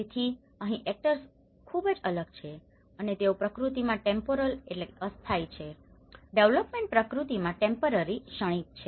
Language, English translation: Gujarati, So here, the actors are very different and they are very much the temporal in nature the development is temporary in nature